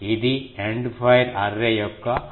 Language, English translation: Telugu, This is the End fire Array concept